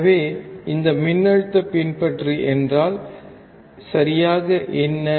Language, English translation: Tamil, So, what exactly is this voltage follower